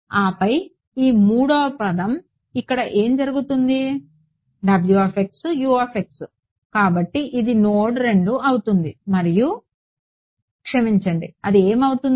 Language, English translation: Telugu, And then this third term over here what happens, w x u x so it will be a minus w x is T 2 x u prime x at node 2 minus node sorry what will it be